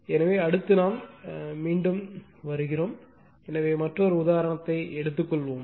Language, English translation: Tamil, So, next we are back again, so let us take another example